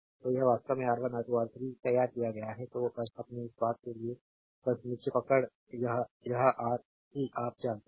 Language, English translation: Hindi, So, this is actually drawn R 1 R 2 R 3; so, just for your this thing just hold down this is Rc you know